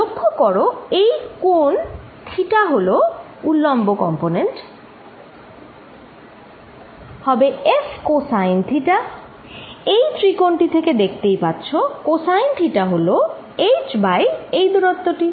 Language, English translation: Bengali, And therefore, vertical component is going to be F cosine of theta, which by this triangle you can see it is nothing but h divided by this distance